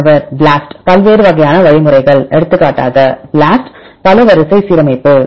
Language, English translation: Tamil, BLAST different kinds of algorithm for example, BLAST multiple sequence alignment